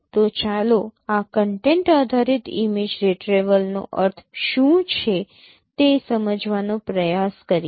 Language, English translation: Gujarati, So, let us try to understand what is meant by this content based image retrieval